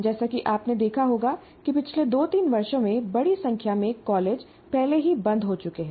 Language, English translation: Hindi, As you would have noticed that in the last two, three years, large number of colleges got already closed